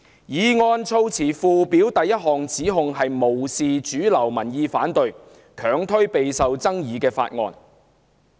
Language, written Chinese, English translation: Cantonese, 議案措辭附表的第一項指控是無視主流民意反對，強推備受爭議的法案。, The first charge set out in the Schedule of the motion is disregard of mainstream opposing views and unrelentingly pushing through a highly controversial bill